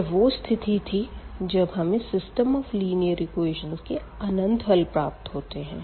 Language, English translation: Hindi, So, here we have infinitely many possibilities for the solution of the given system of equations